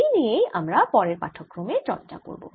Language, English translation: Bengali, that we'll do in the next lecture